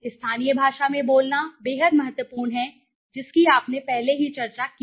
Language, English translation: Hindi, Language speaking in the local language is extremely important you have already discussed